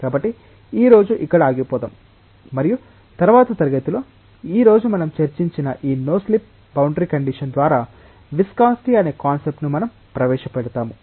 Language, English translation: Telugu, So, let us stop here today and in the next class we will take this up and introduce the concept of viscosity through this no slip boundary condition that we have discussed today